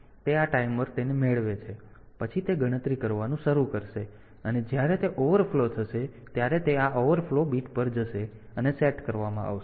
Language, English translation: Gujarati, So, that was this timer get it, and then it will start doing up counting and when it overflows it will go to this overflow bit will be set